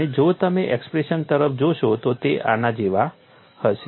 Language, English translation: Gujarati, And if you look at the expression would be like this